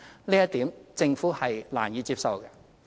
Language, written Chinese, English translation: Cantonese, 這一點政府是難以接受的。, That is unacceptable to the Government